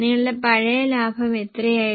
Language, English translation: Malayalam, What was your old profit